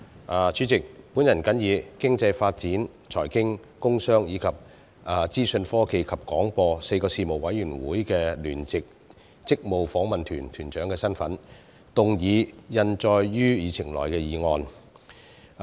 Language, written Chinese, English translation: Cantonese, 我是以經濟發展事務委員會、財經事務委員會、工商事務委員會，以及資訊科技及廣播事務委員會4個事務委員會的聯席事務委員會職務訪問團團長的身份，動議通過印載於議程內的議案。, The motion is moved in my capacity as the Leader of the joint - Panel delegation of the Panel on Economic Development Panel on Financial Affairs Panel on Commerce and Industry and Panel on Information Technology and Broadcasting